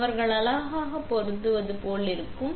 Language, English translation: Tamil, So, they look like it is pretty matched up